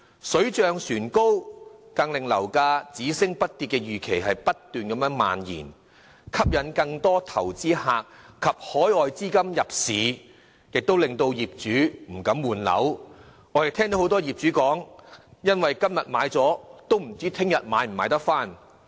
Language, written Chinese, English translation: Cantonese, 水漲船高，更令樓價只升不跌的預期不斷蔓延，吸引更多投資者及海外資金入市，亦令業主不敢換樓，因為很多業主都說，今天把樓賣出後，不知道明天能否買回來。, As a rising tide lifts all boats there is a growing expectation that property prices will only soar and can never drop . This has attracted more investors and overseas capitals to invest in the local property market and discouraged property owners from changing flat since many of them are not sure if they can purchase another flat tomorrow after they have sold their property today